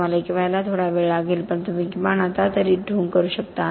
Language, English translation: Marathi, You are going to take a while to be one but you can at least pretend now